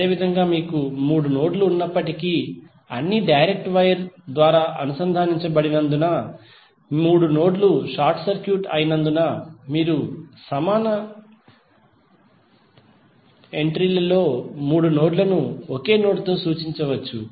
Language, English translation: Telugu, Similarly in this also, although you have three nodes but since all are connected through direct wire means all three nodes are short circuited then you can equal entry represents all the three nodes with one single node